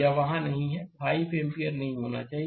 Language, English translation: Hindi, It is not there; 5 ampere should not be there